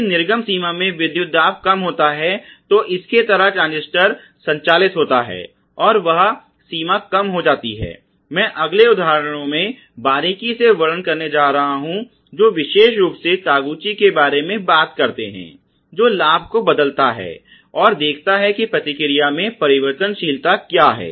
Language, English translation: Hindi, If voltages lower in the output range which you know gets sort of initiated or under which the transistor is bound to operate that that range reduces and I am going to illustrate this little more closely in one of the next examples that particularly Taguchi talks about when he changes the gain and sees what is the variability in the response